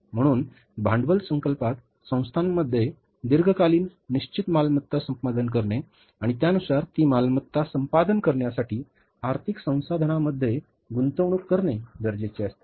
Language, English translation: Marathi, So, capital budgeting deals with the acquiring the long term fixed assets in the organizations and accordingly investing the financial resources for acquiring those assets